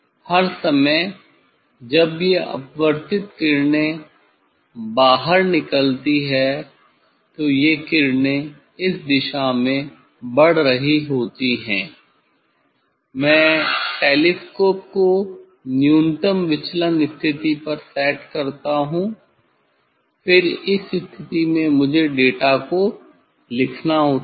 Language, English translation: Hindi, all the time these refracted rays this out going rays it is moving in this direction, I set the telescope at the minimum deviation position then at this position I have to note down the data, I have to note down the data